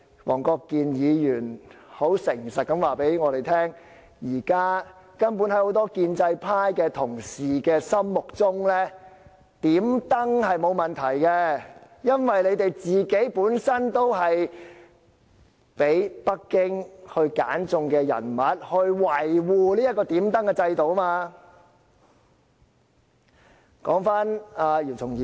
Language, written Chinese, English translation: Cantonese, 黃國健議員很誠實地告訴我們，在很多建制派同事的心目中，"點燈"是沒有問題的，因為他們本身就是被北京揀選出來維護這個"點燈"制度的人物。, Mr WONG Kwok - kin has told us very honestly that from the perspective of many pro - establishment colleagues there is nothing wrong with lighting the lantern because they themselves are the ones picked by Beijing to safeguard this practice of lighting the lantern